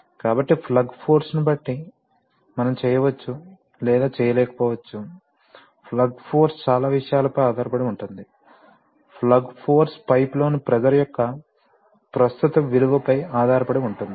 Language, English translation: Telugu, So we, depending on the plug force, we may or may not be able to and the plug force depends on so many things, the plug force depends on the current value of pressure in the pipe